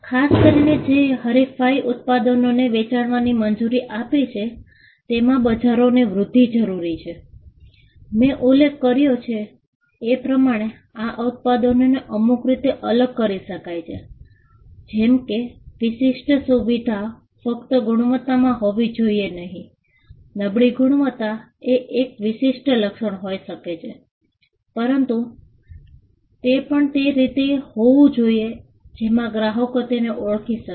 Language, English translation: Gujarati, The growth of markets, especially which allowed for competing products to be sold require that, these products can be distinguished in some way and as I mentioned the distinguishing feature need not be just in the quality because, the poor quality can be a distinguishing feature, but it also had to be in a way in which customers could identify it